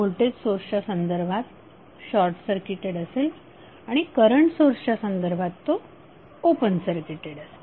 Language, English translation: Marathi, So turned off means what in the case of voltage source it will be short circuited and in case of current source it will be open circuited